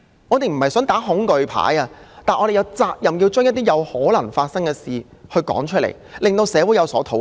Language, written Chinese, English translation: Cantonese, 我們不是想打"恐懼牌"，但我們有責任把一些可能發生的事說出來，讓社會討論。, While we do not intend to play the fear card it is our responsibility to state what can possibly happen for public discussion